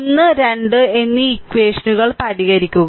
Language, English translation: Malayalam, You solve equation 1 and 2